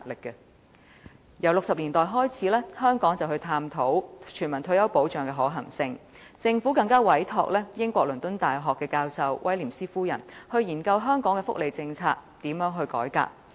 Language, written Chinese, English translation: Cantonese, 由1960年代開始，香港便探討全民退休保障的可行性，政府更委託英國倫敦大學教授威廉斯夫人研究如何改革香港的福利政策。, In the 1960s Hong Kong commenced to study the feasibility of implementing a universal retirement protection system . The Government commissioned Mrs WILLIAMS a professor of the University of London to conduct studies on reforming the welfare policies of Hong Kong